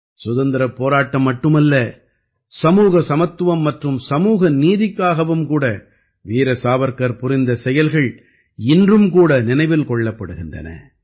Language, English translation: Tamil, Not only the freedom movement, whatever Veer Savarkar did for social equality and social justice is remembered even today